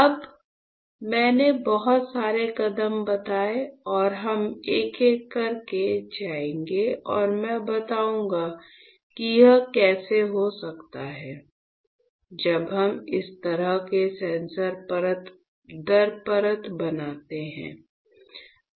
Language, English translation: Hindi, So, we will go one by one all right and I will tell you how can it be when we fabricate such a sensor layer by layer